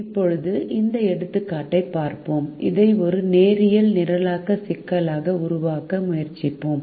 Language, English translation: Tamil, now we will look at this example and we will try to formulate this as a linear programming problem